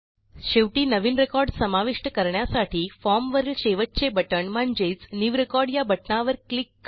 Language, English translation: Marathi, Finally, let us add a new record by clicking on the last button on the form which is New record